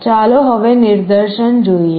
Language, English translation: Gujarati, Let us look at the demonstration now